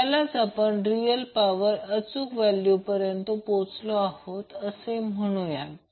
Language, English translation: Marathi, So this says that we have arrived at the correct value of real power